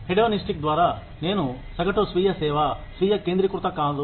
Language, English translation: Telugu, By hedonistic, I mean, self servicing, not self centered